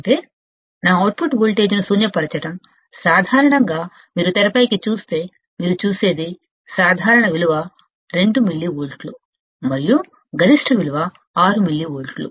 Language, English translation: Telugu, That is to null my output voltage, typically if you come back on the screen what you will see, typically the value is 2 millivolts, and the maximum the value is 6 millivolts